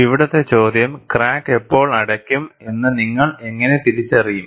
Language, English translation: Malayalam, And the question here is, how will you identify when does the crack close and when does the crack opens